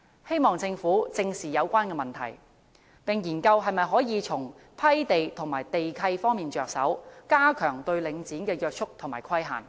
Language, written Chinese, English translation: Cantonese, 希望政府正視有關問題，並研究可否從批地和地契方面着手，加強對領展的約束和規限。, We hope that the Government will seriously address these issues and examine whether it can impose stronger restraints and restrictions on Link REIT through land grant and land lease